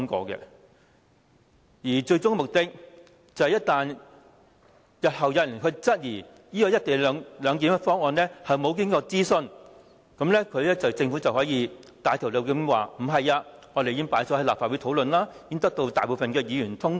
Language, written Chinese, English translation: Cantonese, 政府的最終目的，就是當日後有人質疑"一地兩檢"議案未經諮詢時，便可以振振有詞指出議案已交由立法會討論，並獲大多數議員通過。, The ultimate objective of the Government is that should anyone question why the public had not been consulted on the co - location motion in future the Government would categorically say that the motion had been discussed by the Legislative Council and passed by a majority of Members